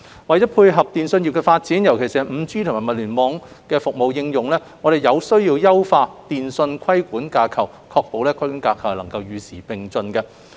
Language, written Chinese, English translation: Cantonese, 為配合通訊業的發展，尤其是 5G 和物聯網服務的應用，我們有需要優化電訊規管架構，確保規管架構與時並進。, To dovetail with the development of the telecommunications industry particularly the application of 5G and IoT services our telecommunications regulatory framework has to be improved and kept updated